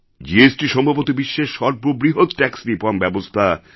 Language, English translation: Bengali, GST is probably be the biggest tax reform in the world